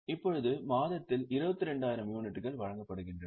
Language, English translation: Tamil, Now, 22,000 units are issued during the month